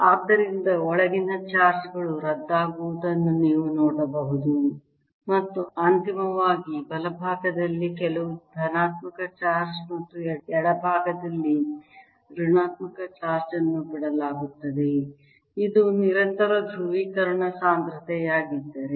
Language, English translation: Kannada, i am finally going to be left with some positive charge on the right and negative charge on the left if this is a constant polarization density